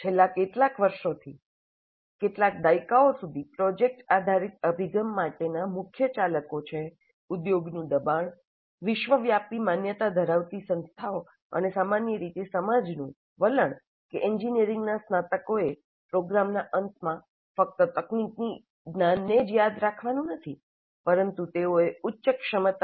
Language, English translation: Gujarati, Now the key drivers for project based approach over the last few years, couple of decades, have been pressure from industry, accreditation bodies worldwide and society in general that engineering graduates must demonstrate at the end of the program not just memorized technical knowledge but higher competencies